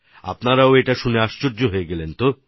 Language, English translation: Bengali, You too would have been surprised to hear this